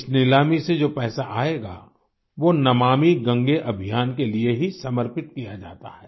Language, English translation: Hindi, The money that accrues through this Eauction is dedicated solely to the Namami Gange Campaign